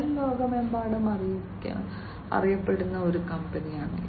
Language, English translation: Malayalam, Shell is a very well known company worldwide